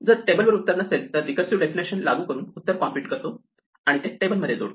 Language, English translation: Marathi, If the table does not have an answer then we apply the recursive definition compute it, and then we add it to the table